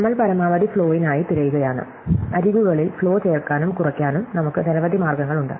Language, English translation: Malayalam, WeÕre looking for the maximum flow, we have many different ways of adding and subtracting flow along edges